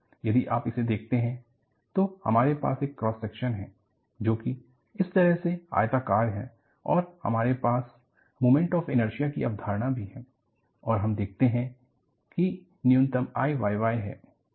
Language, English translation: Hindi, If you look at, I have a cross section, which is rectangular like this and we also have the concept of moment of inertia and you find that, I minimum is I y y